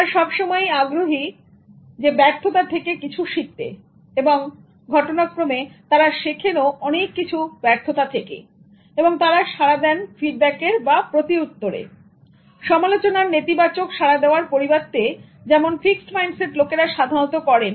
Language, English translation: Bengali, They are willing to learn from failure and in fact they learned so much from failure and they respond to feedback instead of giving negative response to criticism like the fixed mindset people